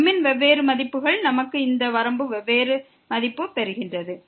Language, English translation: Tamil, For different values of , we are getting different value of this limit